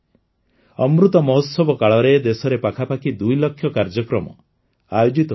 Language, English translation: Odia, About two lakh programs have been organized in the country during the 'Amrit Mahotsav'